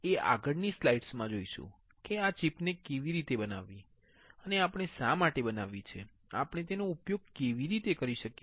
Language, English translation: Gujarati, We will see in the next slide how to fabricate this chip the; and why we have fabricated, why how we are using it